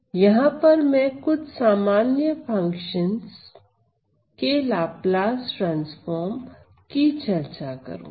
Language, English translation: Hindi, So, for the time being I am going to focus on Laplace transform of functions